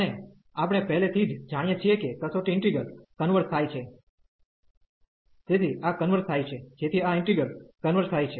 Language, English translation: Gujarati, And we know already that the test integral converges, so this converges so this integral converges